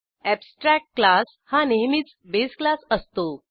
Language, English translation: Marathi, Abstract class is always a base class